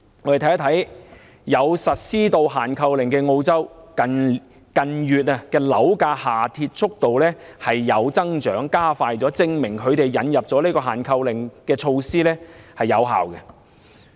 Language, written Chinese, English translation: Cantonese, 我們看看有實施限購令的澳洲，近月樓價下跌速度加快，證明引入限購令措施奏效。, In Australia where a purchase restriction has been imposed property prices have dropped more rapidly in recent months proving that the introduction of a purchase restriction is indeed effective